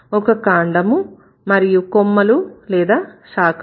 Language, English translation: Telugu, There is a trunk, there are branches